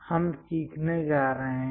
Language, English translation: Hindi, We are going to learn